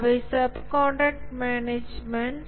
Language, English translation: Tamil, So those are subcontract management